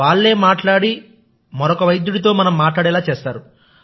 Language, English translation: Telugu, It talks to us and makes us talk to another doctor